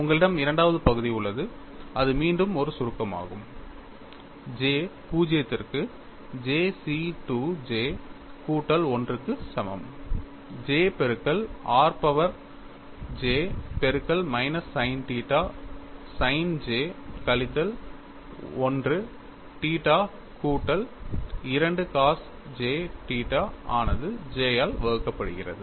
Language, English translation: Tamil, You also have a second term, this is again a summation, j equal to 0 to j C 2 j plus 1 j into r power j multiplied by minus sin theta sin j minus 1 theta plus 2 cos j theta divided by j; you have an expression for sigma y, this also I will read it out for you